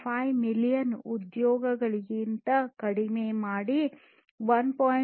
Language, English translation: Kannada, 2 million employees to 1